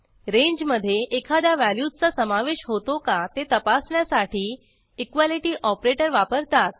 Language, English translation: Marathi, Equality operator is used to check whether a value lies in the range